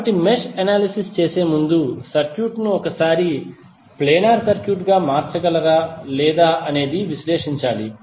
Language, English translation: Telugu, So you need to analyse the circuit once before doing the mesh analysis whether it can be converted into a planar circuit or not